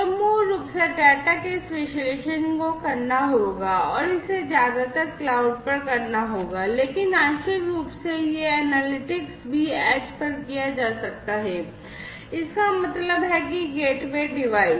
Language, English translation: Hindi, So, basically this analysis of the data will have to be performed and this will have to be done mostly at the cloud, but partly this analytics could also be done at the edge; that means the gateway device